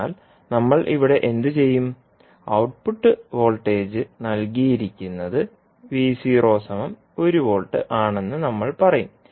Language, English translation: Malayalam, So, what we will do here, we will say that the output voltage is given is V naught equal to 1 volt